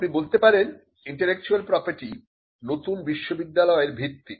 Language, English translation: Bengali, You can say that intellectual property is the foundation of the new university